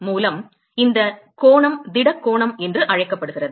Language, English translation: Tamil, By the way, this angle is what is called as the solid angle